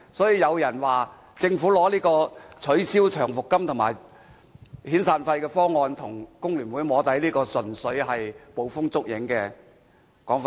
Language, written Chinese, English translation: Cantonese, 有人說政府拿取消長期服務金和遣散費的方案跟工聯會"摸底"，這純粹是捕風捉影的說法。, Some people are saying that the Government has offered to the FTU this arrangement of abolishing long service payments and severance payment as an attempt at soft lobbying and I would say that these are groundless speculations